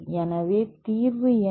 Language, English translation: Tamil, So, then what is the solution